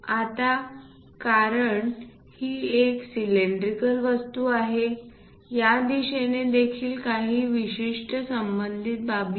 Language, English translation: Marathi, Now, because it is a cylindrical object, there are certain dimensions associated in this direction also